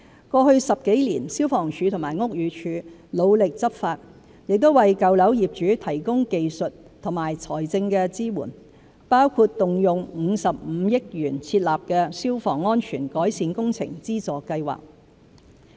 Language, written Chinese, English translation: Cantonese, 過去10多年，消防處和屋宇署努力執法，亦為舊樓業主提供技術和財政支援，包括動用55億元設立的消防安全改善工程資助計劃。, Over the past decade or so the Fire Services Department FSD and the Buildings Department BD have taken vigorous enforcement action . Technical and financial support for owners of old buildings has also been provided such as devoting 5.5 billion to launch the Fire Safety Improvement Works Subsidy Scheme